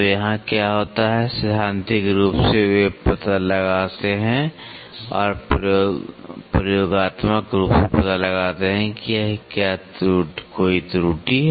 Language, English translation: Hindi, So, here what happen theoretically they find out and experimentally they are find out find out whether there is an error